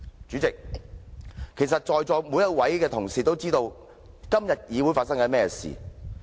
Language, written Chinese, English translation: Cantonese, 主席，其實在座每位同事都知道今天的議會正在發生甚麼事情。, President Honourable colleagues actually know what is happening in this Council